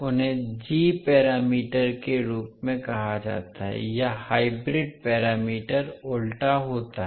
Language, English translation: Hindi, They are called as a g parameter or inverse hybrid parameters